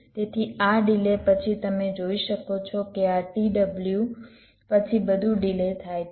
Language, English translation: Gujarati, so after this delay you can see that this t w, everything as getting delayed